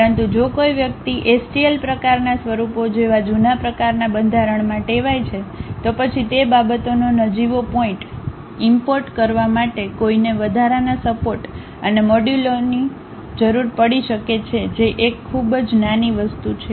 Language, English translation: Gujarati, But if someone is accustomed to old kind of format like STL kind of forms, then importing those things slight issue and one may require additional supports and modules which is very minor thing